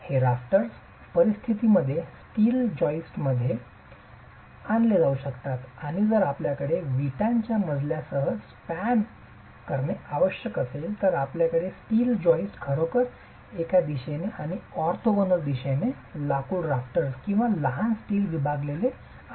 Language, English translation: Marathi, These rafters may be roll steel joists in some situations and if you have larger spans that have to be spanned with the brick flow you would actually have roll steel joists in one direction and in the orthogonal direction timber rafters or smaller steel sections